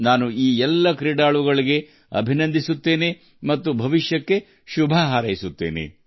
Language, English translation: Kannada, I also congratulate all these players and wish them all the best for the future